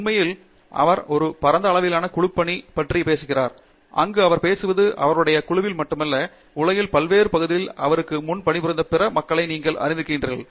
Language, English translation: Tamil, In fact, he is talking of teamwork in a grander scale, where he is talking of you know not just his group but, you know other people who worked before him, in various parts of the world